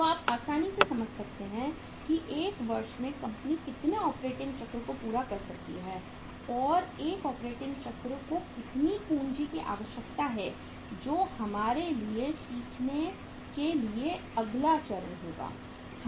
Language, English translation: Hindi, So you can easily understand that in a year how many operating cycle the company can complete and one operating cycle is requiring how much capital that will be for us uh the next stage to learn